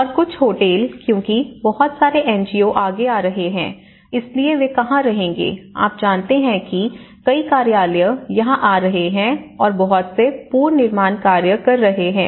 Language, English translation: Hindi, And some of the hotels because a lot of NGOs coming forward, so where do they stay, you know there is many offices coming here and going and doing lot of reconstruction work